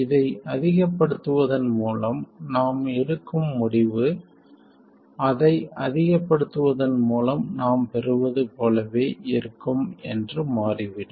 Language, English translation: Tamil, It turns out that the conclusions we draw from maximizing this will be exactly the same as what we get from maximizing that one